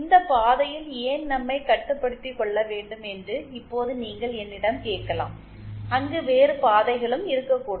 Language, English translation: Tamil, Now you might have asked me why restrict ourselves to this path, there can be other paths also and absolutely